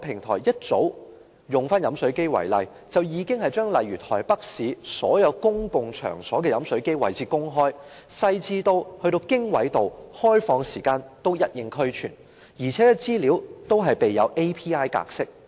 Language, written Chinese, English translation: Cantonese, 同樣以飲水機為例，台灣早已將例如台北市所有公共場所的飲水機位置公開，細緻到連經緯度及場所的開放時間也一應俱全，而且資料均備有 API 格式。, Using the same example of drinking fountains Taiwan published the location of drinking fountains in all public places in Taipei long ago . Even small details such as the longitude and latitude of the locations and the opening hours of the venues are available and all information is provided in API format